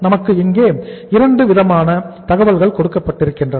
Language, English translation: Tamil, So we are given 2 kind of information here